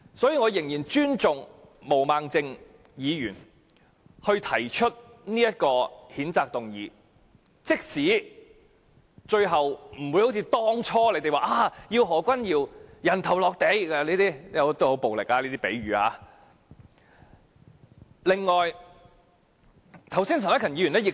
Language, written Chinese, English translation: Cantonese, 所以，我仍然尊重毛孟靜議員提出這項譴責議案，即使最後不會一如當初所預期，要讓何君堯議員像那個很暴力的比喻一般人頭落地。, Hence I still respect Ms Claudia MOs efforts in moving this motion to censure Dr Junius HO although we will not be able to make him pay for what he has done as we originally desired and to put it in a violent way have him beheaded